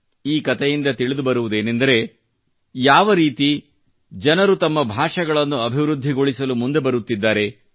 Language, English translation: Kannada, After reading that story, I got to know how people are coming forward to promote their languages